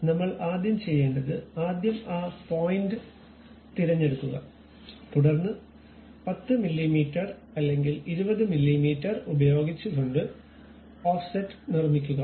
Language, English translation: Malayalam, So, what I have to do is first pick that point uh pick that object then use Offset with 10 mm or perhaps 20 mm we are going to construct offset